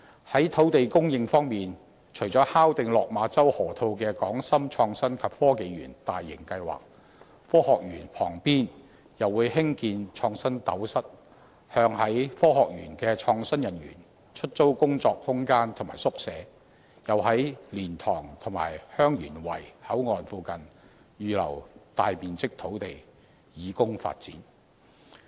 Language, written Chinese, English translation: Cantonese, 在土地供應方面，除了敲定落馬洲河套的"港深創新及科技園"大型計劃，科學園旁邊又會興建"創新斗室"，向在科學園工作的創新人員出租工作空間和宿舍，又在蓮塘和香園圍口岸附近預留大面積土地以供發展。, It will also step up investment in the hardware of the innovation and technology industry . On land supply apart from finalizing the Hong KongShenzhen Innovation and Technology Park in the Lok Ma Chau Loop Area an InnoCell will be constructed adjacent to the Science Park to lease work space and residential units to innovation workers in the Science Park . A sizable site near LiantangHeung Yuen Wai Boundary Control Point has further been set aside for development